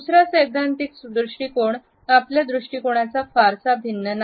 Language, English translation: Marathi, The second theoretical approach is in a way not very different from the first one